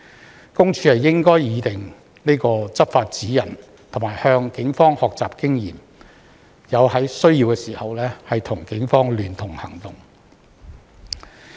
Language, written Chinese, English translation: Cantonese, 私隱公署應擬訂執法指引，並向警方學習經驗，在有需要時與警方聯合行動。, PCPD should draw up enforcement guidelines and learn from the Police and act jointly with the Police when necessary